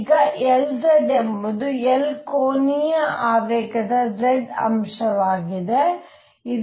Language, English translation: Kannada, And now L z is z component of L angular momentum